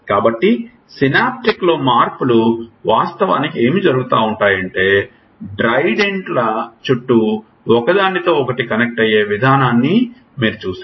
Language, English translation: Telugu, So, the changes in synaptic are actually what is happening is that that tree of dendrites that you saw the way they connect with each other